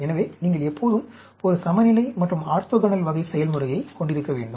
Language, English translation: Tamil, So, you should always have a balance and orthogonal type of behavior